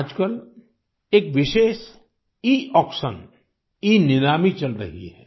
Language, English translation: Hindi, These days, a special Eauction is being held